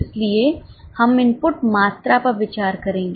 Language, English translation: Hindi, So, we will consider the input quantity